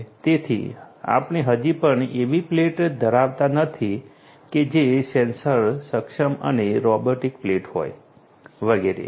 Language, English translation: Gujarati, So, we still are not in a point of having a plate which is sensor enabled and robotic plate and so on